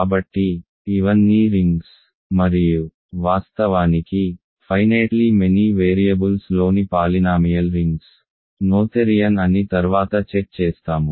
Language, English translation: Telugu, So, these are all rings and we will in fact, check that polynomial rings in finitely many variables are noetherian later